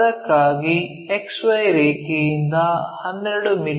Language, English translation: Kannada, This is the XY line